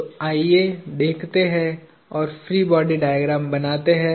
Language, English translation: Hindi, So, let us go through and draw the free body diagram